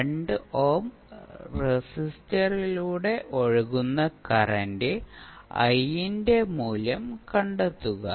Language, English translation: Malayalam, And find out the value of current I which is flowing through the 2 ohm resistor